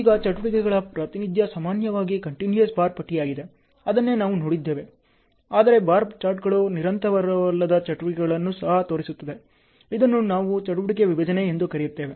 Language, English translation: Kannada, Now, activities representation generally it is a continuous bar, that is what we have seen; but bar charts can also show non continuous activities what we call it as an activity splits ok